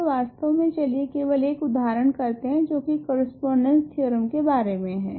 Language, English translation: Hindi, So, actually let us just do one example which talks about correspondence theorem